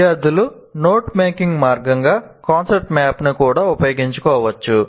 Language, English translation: Telugu, And students can also make use of concept map as a way of note taking